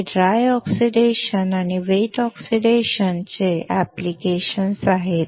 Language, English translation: Marathi, These are the application of dry oxidation and wet oxidation